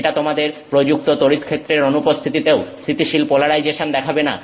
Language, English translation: Bengali, It is not showing you you know sustained polarization in the absence of an applied field